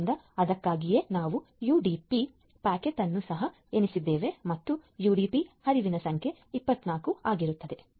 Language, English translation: Kannada, So, that is why we have counted the UDP packaging also and number of UDP flows is 24